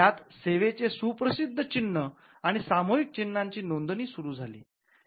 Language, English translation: Marathi, It introduced registration for service well known marks and collective marks